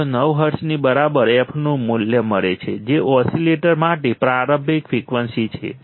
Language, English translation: Gujarati, 309 hertz which is the starting frequency for the oscillators